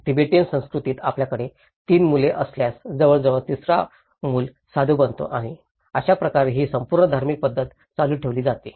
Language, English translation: Marathi, In a Tibetan culture, if you have 3 children, almost the third child becomes a monk and that is how this whole religious pattern is continued